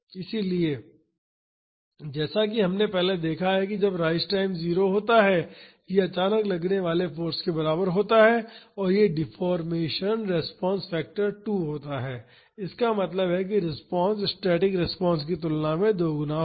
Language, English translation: Hindi, So, as we have seen earlier when the rise time is 0, this is equal to the suddenly applied force and this deformation response factor is 2; that means, the response will be twice that of the static response